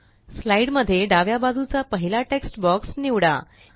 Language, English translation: Marathi, Select the first text box to the left in the slide